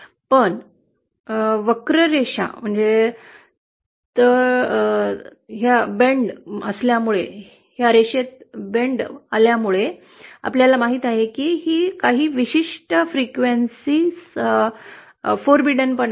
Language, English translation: Marathi, But because of this bend present in the curve, 1st of all we know that there are certain frequencies which are forbidden